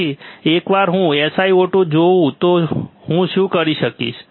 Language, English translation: Gujarati, So, once I see the SiO 2 what will I do